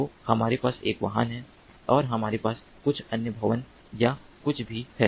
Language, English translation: Hindi, so we have a vehicle and we also have some other building or something like that